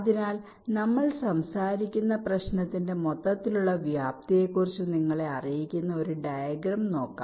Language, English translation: Malayalam, ok, so let's look at a diagram which will, ah, just apprise you about the overall scope of the problem that we are talking about